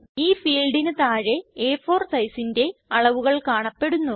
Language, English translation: Malayalam, Below this field the dimensions of A4 size are displayed